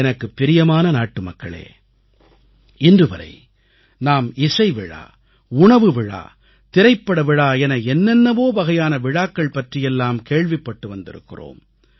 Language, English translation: Tamil, My dear countrymen, till date, we have been hearing about the myriad types of festivals be it music festivals, food festivals, film festivals and many other kinds of festivals